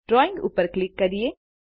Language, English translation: Gujarati, Click on Drawing